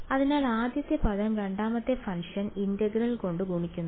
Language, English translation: Malayalam, So, first term multiplied by integral of the second function right